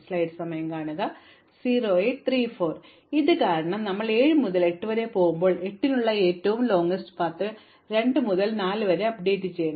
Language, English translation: Malayalam, And now because of this, when we go from 7 to 8, the longest path for 8 must be updated from 2 to 4